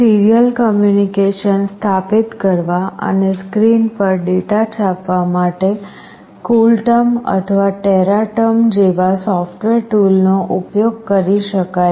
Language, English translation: Gujarati, The software tool such as CoolTerm or Teraterm can be used to establish the serial communication and to print the data on the screen